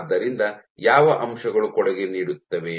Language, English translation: Kannada, So, what the factors that do contribute